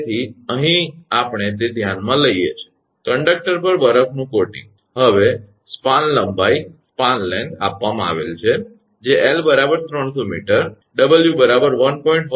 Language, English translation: Gujarati, So, here we are conduct considering that that ice coating on the conductor, now span length is given that is L is equal to capital L is equal to 300 meter W is given 1